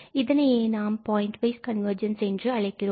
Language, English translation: Tamil, So, that is what we call the pointwise convergence